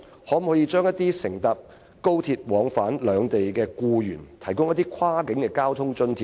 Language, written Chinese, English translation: Cantonese, 可否向乘搭廣深港高速鐵路往返兩地的僱員提供跨境交通津貼呢？, Is it possible to offer cross - boundary transport subsidies to employees commuting between both places on the Guangzhou - Shenzhen - Hong Kong Express Rail Link?